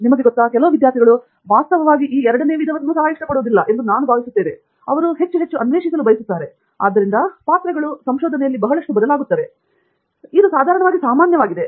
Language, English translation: Kannada, You know, I think some students, in fact, do not like the second type also; they would like to explore more, so that roles change a lot, but once… but that is usually common